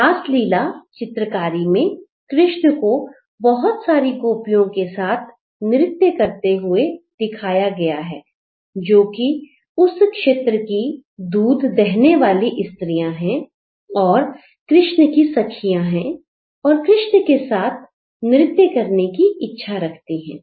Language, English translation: Hindi, In the Rasalila painting, the paintings on the topic Rasalila where Krishna is performing dance with multiple gopies, they are the milkmates of that region who are the friends of Krishna and they are willing because there are in numbers